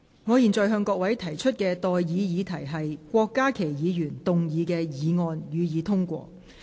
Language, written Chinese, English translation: Cantonese, 我現在向各位提出的待議議題是：郭家麒議員動議的議案，予以通過。, I now propose the question to you and that is That the motion moved by Dr KWOK Ka - ki be passed